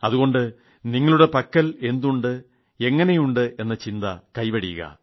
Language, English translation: Malayalam, And so you should stop worrying about what you have and how is that